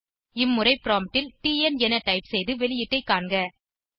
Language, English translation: Tamil, This time at the prompt type in TN and see the output